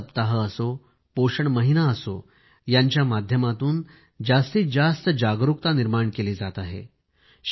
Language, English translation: Marathi, Whether it is the nutrition week or the nutrition month, more and more awareness is being generated through these measures